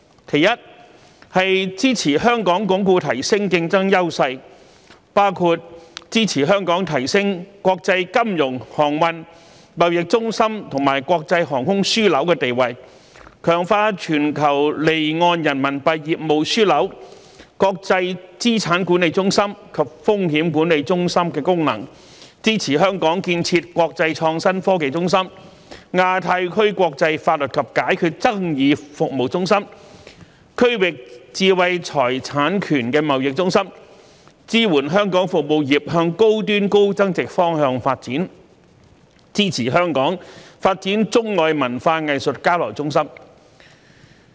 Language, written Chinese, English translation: Cantonese, 其一，是支持香港鞏固提升競爭優勢，包括支持香港提升國際金融、航運、貿易中心和國際航空樞紐地位，強化全球離岸人民幣業務樞紐、國際資產管理中心及風險管理中心功能，支持香港建設國際創新科技中心、亞太區國際法律及解決爭議服務中心、區域知識產權貿易中心，支持香港服務業向高端高增值方向發展，支持香港發展中外文化藝術交流中心。, First support Hong Kong in reinforcing and enhancing its competitive advantages which includes supporting Hong Kong in enhancing its status as an international financial transportation and trade centre and an international aviation hub and in strengthening its roles as a global offshore Renminbi business hub an international asset management centre and a risk management centre; supporting Hong Kong in developing into an international innovation and technology hub a centre for international legal and dispute resolution services in the Asia - Pacific region and a regional intellectual property trading centre; supporting Hong Kong in promoting its service industries for high - end and high value - added development and supporting Hong Kong in developing into a hub for arts and cultural exchanges between China and the rest of the world